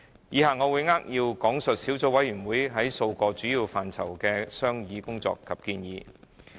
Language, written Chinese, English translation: Cantonese, 以下我會扼要講述小組委員會在數個主要範疇的商議工作及建議。, I will give a brief account of the Subcommittees deliberations and recommendations on several aspects as follows